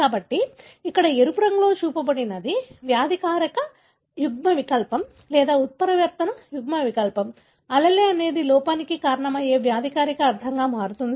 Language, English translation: Telugu, So, what is shown here in red color is pathogenic allele or the mutant allele, allele that becomes pathogenic meaning causing the defect